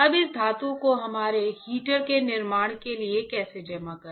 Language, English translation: Hindi, Now how to deposit this metal for fabricating our heater